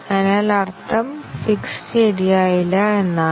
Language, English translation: Malayalam, So, then, the meaning is that, the fix was not proper